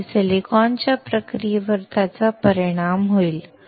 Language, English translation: Marathi, That means, it will affect the processing of silicon